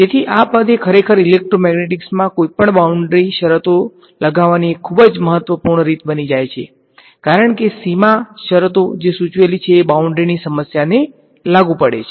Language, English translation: Gujarati, So, this term actually becomes a very important way of imposing any boundary conditions in electromagnetic, because boundary conditions as the word suggested applies to the boundary of the problem